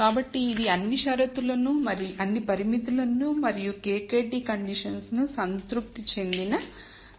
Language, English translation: Telugu, So, this is a case where all constraints and KKT conditions are satis ed